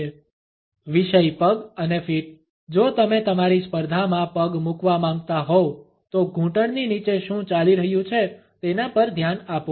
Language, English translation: Gujarati, Topic legs and feet, if you want to leg up on your competition pay attention to what is going on below the knees